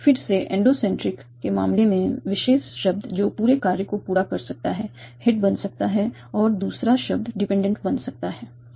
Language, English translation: Hindi, In the case of endosentic again, the particular word that can fulfill the whole function can become the head and the other word can become the dependent